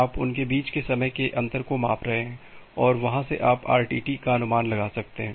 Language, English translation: Hindi, You are measuring the time difference between them and from there you can make an estimation of the RTT